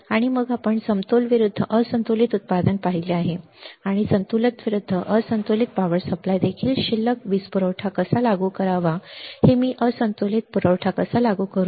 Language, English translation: Marathi, And then we have seen the balance versus unbalance output and, balance versus unbalanced power supply also how to apply balance power supply, how do I apply unbalance supply